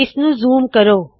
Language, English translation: Punjabi, Let us also zoom it